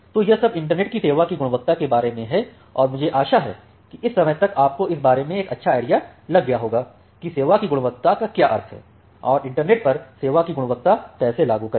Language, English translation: Hindi, So, this is all about the quality of service in the internet, and I hope that by this time you have a nice idea about what quality of service means and how to apply quality of service over a internet